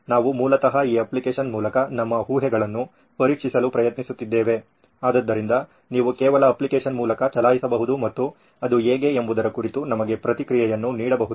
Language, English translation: Kannada, We are trying to test our assumptions through this app basically, so you can just run through the app and give us a feedback on how it is